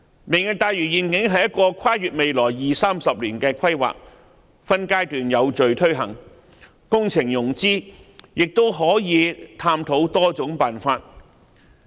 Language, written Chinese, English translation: Cantonese, "明日大嶼願景"是一個跨越未來二三十年的規劃，會分階段有序推行，工程融資亦可探討多種辦法。, As a plan spanning the next two or three decades the Lantau Tomorrow Vision will be taken forward progressively in phases and we may explore various ways for project financing